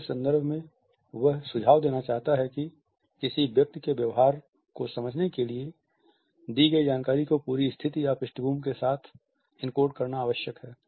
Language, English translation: Hindi, By the idea of context, he wants to suggest that in order to understand the behavior of a person it is necessary to encode the whole situation or background of the given information